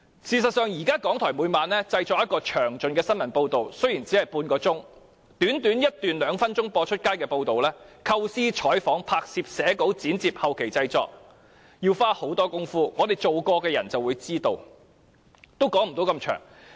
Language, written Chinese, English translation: Cantonese, 事實上，現時港台每晚也製作詳盡的新聞報道，雖然只是半小時，但短短一段兩分鐘"出街"的報道，由構思、採訪、拍攝、寫稿、剪接至後期製作，都要花很多工夫，我們曾從事有關工作的人便會知道，我也不說太多細節了。, In fact RTHK produces a detailed news report every night and while it lasts only half an hour from the forming of an idea covering of news shooting of footage writing up the story editing to the post - production processes it takes tons of work for only one or two minutes of news report to go on air . People like us who have engaged in the relevant work will know it and I am not going to talk about it at length